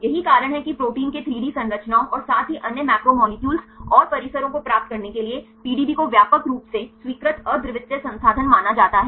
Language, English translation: Hindi, This is the reason why the PDB is the widely accepted the unique resource for getting the structures 3D structures of proteins and as well as other macromolecules and complexes